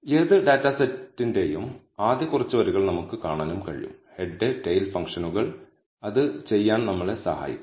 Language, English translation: Malayalam, We can also view the first few rows of any data set, head and tail functions will help us to do that